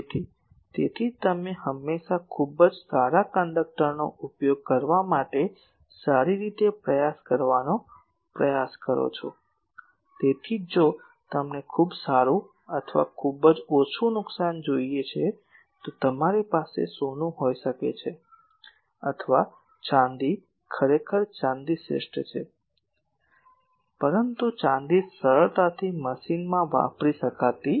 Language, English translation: Gujarati, So, that is why you always try to do well try to use the very good conductor like, that is why if you want very good, or very small loss, then you can have gold, or a silver actually silver is the best one, but silver cannot be machined easily